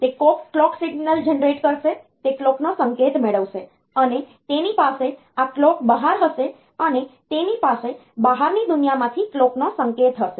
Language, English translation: Gujarati, It will generate the clock signal, which will get the clock signal, and it will have this clock out it will it will it will have the clock signal from the outside world